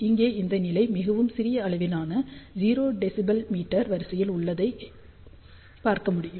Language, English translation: Tamil, You can see over here that this level is very small, it is of the order of 0 dBm